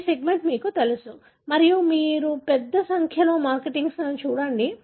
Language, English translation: Telugu, You know this segment you go and look at large number of markers